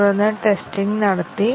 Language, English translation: Malayalam, And then, the testing was carried out